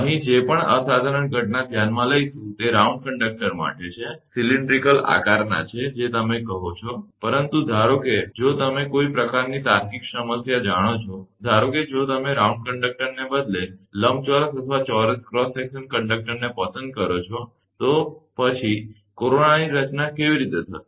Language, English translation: Gujarati, Whatever phenomena here will consider that is for round conductor, that is cylindrical in shape that you say, but suppose if you take you know some kind of logical problem, that suppose instead of round conductor, if you choose the rectangular or square cross section conductor, then how the corona will be formed